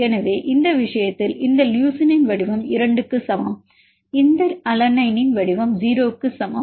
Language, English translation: Tamil, So, in this case the shape of this leucine is equal to 2, shape of this alanine equal to 0